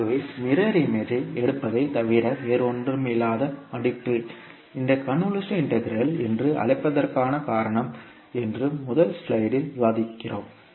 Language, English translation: Tamil, So this is what we discuss in the first slide that folding that is nothing but taking the mirror image is the reason of calling this particular integral as convolution integral